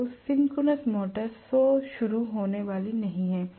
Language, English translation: Hindi, So, synchronous motor is not going to be self starting